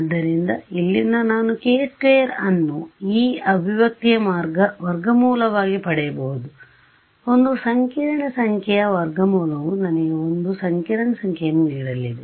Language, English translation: Kannada, And so, from here I can get k prime as a square root of this expression square root of a complex number is going to give me a complex number ok